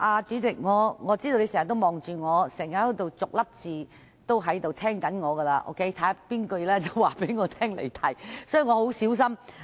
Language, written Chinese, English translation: Cantonese, 主席，我知道你在盯着我，逐字聆聽我的發言，看看要在何時告知我離題，所以我會很小心發言。, President I know that you are watching me closely and listening to every word I utter to make sure that I do not digress . Therefore I will speak very carefully